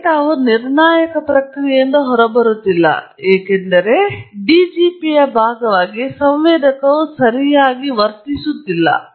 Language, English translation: Kannada, The data is not coming out of a deterministic process because a part of the DGP, which is a sensor, has not been understood properly